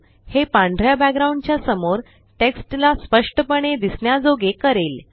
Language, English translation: Marathi, This will make the text clearly visible against the white background